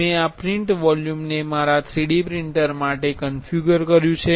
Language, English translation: Gujarati, I have configured this print volume for my 3D printer